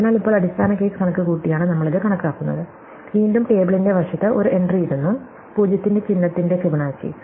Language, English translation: Malayalam, So, now, we have computed it by computing the base case and again, we put an entry in the tables side, Fibonacci of 0’s sign